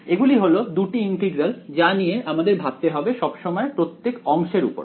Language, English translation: Bengali, These are the two integrals that I am always thinking about over each segment ok